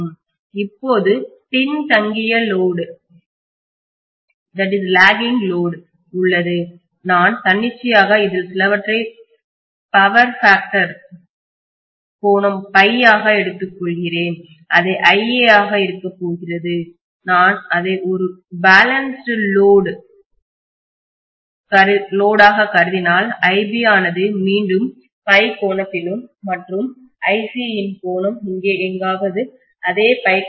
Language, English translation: Tamil, Now let us say I am going to have a lagging load, I am just arbitrary taking this as some at a point factor angle phi this is going to be IA, and if I assume it as a balance load I am going to have IB again at an angle of phi and IC somewhere here which is also at an angle of phi, right